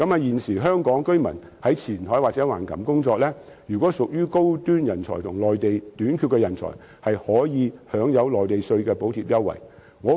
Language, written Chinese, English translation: Cantonese, 現時香港居民在前海或橫琴工作，如果屬於高端人才和內地短缺人才，可以享有內地稅項的補貼優惠。, At present if Hong Kong residents who are classed as high - end talents or talents in shortage on the Mainland work in Qianhai or Hengqin they will be entitled to Mainlands taxation subsidies and concessions